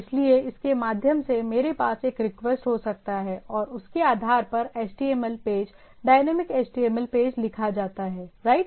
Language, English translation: Hindi, So, through that I can have a request and based on that, the HTML page dynamic HTML page is written right